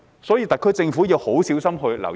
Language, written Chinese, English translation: Cantonese, 所以，特區政府要很小心留意。, Therefore the SAR Government should devote particular attention in this regard